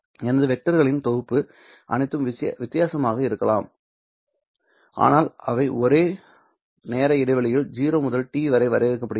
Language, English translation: Tamil, So, this is my set of vectors which all can be different, but they have all been defined over the same time interval 0 to t